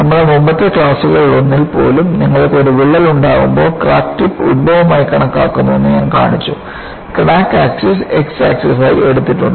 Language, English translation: Malayalam, And even, in one of our earlier class, we have shown that when you have a crack, I showed that crack tip is taken as the origin, crack axis is taken as the x axis